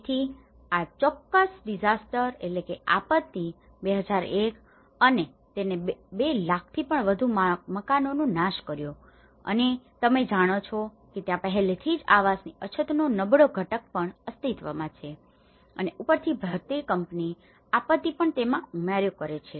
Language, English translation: Gujarati, So this particular disaster 2001 and this has been destroying more than 200,000 houses and already there is also vulnerable component of existing housing shortage you know, plus the earthquake the disaster adds on to it